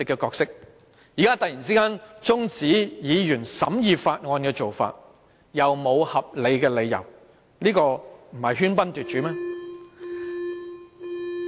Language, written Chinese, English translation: Cantonese, 官員現在這樣突然中止議員審議《條例草案》，又沒有合理的理由，不是喧賓奪主嗎？, Now government officials adjourn Members discussion on the Bill abruptly without reasonable justification are they not usurping the hosts role in this Council?